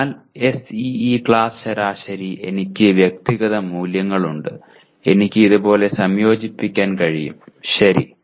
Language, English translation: Malayalam, So the SEE class averages, I have individual values, I can combine like this, okay